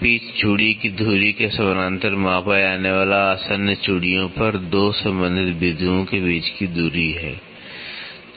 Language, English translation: Hindi, Pitch is the distance between 2 corresponding points on adjacent threads measured parallel to the axis of thread